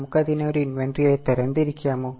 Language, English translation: Malayalam, Can we classify it as an inventory